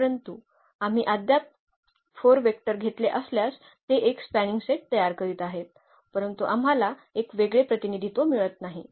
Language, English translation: Marathi, But, if we have taken the 4 vectors still it is forming a spanning set, but we are not getting a unique representation